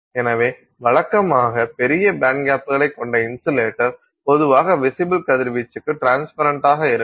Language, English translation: Tamil, So, insulators which usually have large band gaps are typically transparent to visible radiation